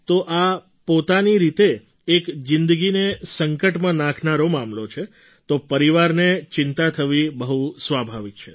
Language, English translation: Gujarati, So it is a lifethreatening affair in itself, and therefore it is very natural for the family to be worried